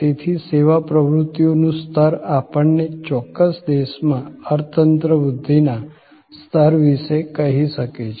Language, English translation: Gujarati, So, in a way the level of service activity can tell us about the level of economy growth in a particular country